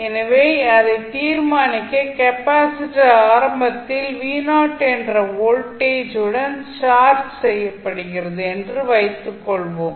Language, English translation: Tamil, So, for determination let us assume that the capacitor is initially charged with some voltage v naught